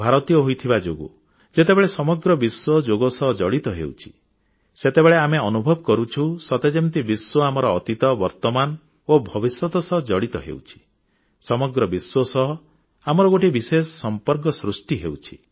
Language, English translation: Odia, As an Indian, when we witness the entire world coming together through Yoga, we realize that the entire world is getting linked with our past, present and future